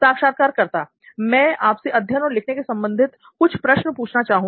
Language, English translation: Hindi, So I would like to ask a few questions related to learning and writing